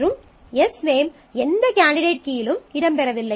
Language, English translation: Tamil, And Sname is not featuring in any candidate key